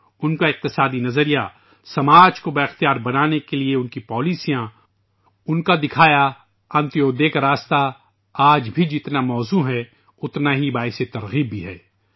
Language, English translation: Urdu, His economic philosophy, his policies aimed at empowering the society, the path of Antyodaya shown by him remain as relevant in the present context and are also inspirational